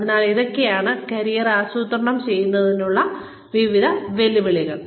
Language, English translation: Malayalam, So, various challenges to planning our careers